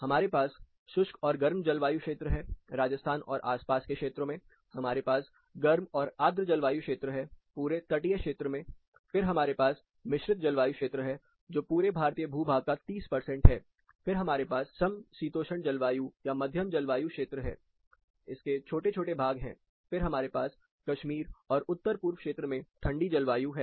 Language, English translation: Hindi, We have hot and dry, but just turn on this belt, we have warm and humid for most part of this coastal peninsular area, then we have composite climate, which takes around 30 percent, one third of Indian geography, then we have temperate climate or moderate climate, small patches of it, then we have cold climates, and Kashmir, and far north east region